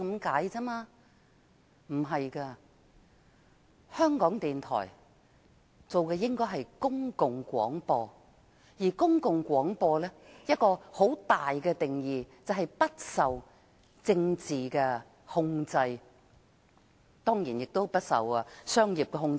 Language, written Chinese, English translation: Cantonese, 港台的工作應是公共廣播，而公共廣播其中一項重要的定義，就是不受政治控制，亦不受商業控制。, The work of RTHK should be public service broadcasting and one of the key definitions of public service broadcasting is that it should be free from political control and commercial control